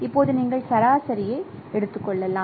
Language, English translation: Tamil, So you simply take the average